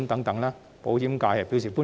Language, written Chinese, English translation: Cantonese, 對此，保險界表示歡迎。, The insurance industry welcomes them